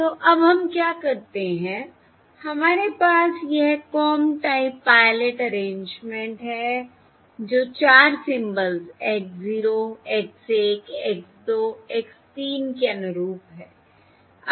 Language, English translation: Hindi, okay, So now what we do is we have this comb type pilot arrangement that is corresponding to the 4 symbols: X 0, X 1, X 2, X 3